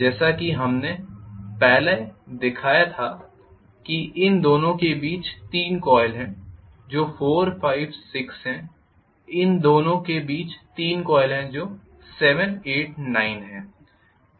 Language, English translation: Hindi, As we showed it earlier between these 2 there are 3 coil which are 4, 5, 6 between these two there are 3 coils which are 7, 8, 9